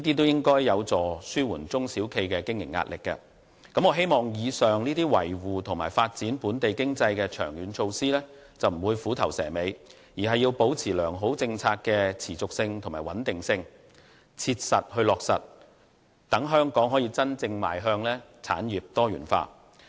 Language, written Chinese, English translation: Cantonese, 以上種種均是良好的措施和政策，旨在維護和推動本地經濟的長遠發展，我希望政府不會虎頭蛇尾，而是竭力確保它們的延續性和穩定性，真正予以落實，讓香港能夠真正邁向產業多元化。, The measures above seek to maintain and develop the local economy in the long run and I hope that the Government will not have a fine start but a poor finish . It should sustainably and persistently implement these sound policies in a pragmatic manner so that Hong Kong can truly progress toward a diversified development of different industries